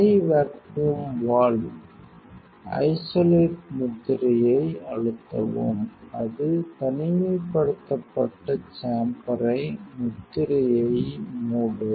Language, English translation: Tamil, Press the seal means the high vacuum valve isolates means, it will close isolates the chamber press the seal